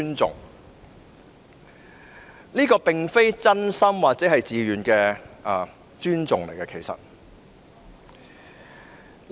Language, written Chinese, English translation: Cantonese, 這其實並非出於真心或自願的尊重。, Such respect is neither sincere nor voluntary